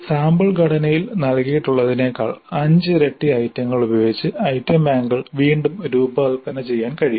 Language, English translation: Malayalam, So item banks can be designed again with 5 times the number of items as given in the sample structure here